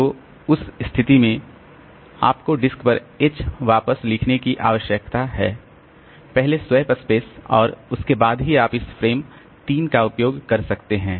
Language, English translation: Hindi, So, in that case you need to write H back onto the disk, the swap space first and then only you can make use of this frame 3